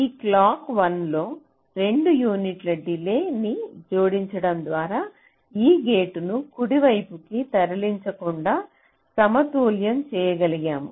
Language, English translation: Telugu, just by adding a delay of two units in this clock one, we have been able to balance it without moving these gates around, right